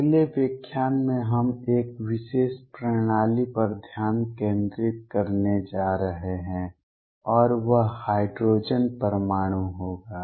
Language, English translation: Hindi, In the next lecture we are going to focus on a particular system and that will be the hydrogen atom